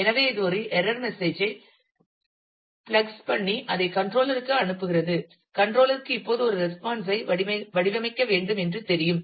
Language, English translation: Tamil, So, it plugs in a error message and sends it to the controller, controller now knows that a response has to be framed